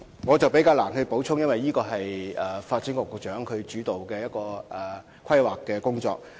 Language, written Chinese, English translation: Cantonese, 我難以作出補充，因為這是一項由發展局局長主導的規劃工作。, I can hardly add anything because this planning initiative is led by the Secretary for Development